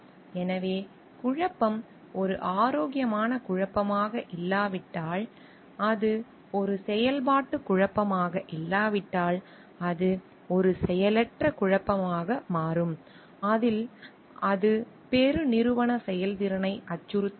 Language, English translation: Tamil, So, if the conflict is not an healthy conflict, if it is not a functional conflict, but it becomes a disfunctional conflict in which that it threatens the corporate efficiency